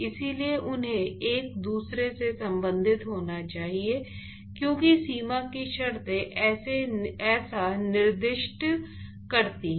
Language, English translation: Hindi, So, they have to be related to each other, because the boundary conditions specifies so